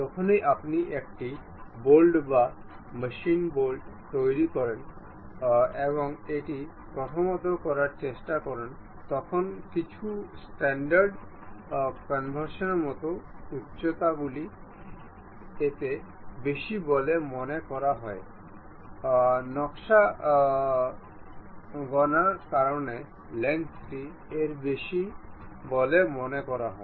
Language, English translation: Bengali, Whenever you manufacture a bolt or machine a bolt and try to prepare it there are some standard conventions like heights supposed to this much, length supposed to be this much and so on because of design calculation